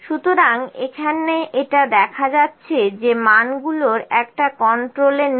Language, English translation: Bengali, So, it is as showing that one of the value is not in control